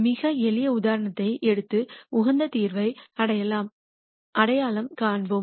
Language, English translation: Tamil, Let us take a very very simple example and identify an optimum solution